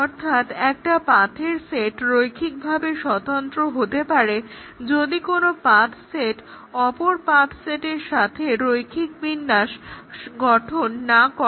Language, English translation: Bengali, So, a set of paths is linearly independent if no path set with a linear combination of other paths in the set